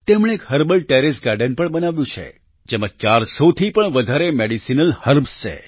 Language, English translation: Gujarati, She has also created a herbal terrace garden which has more than 400 medicinal herbs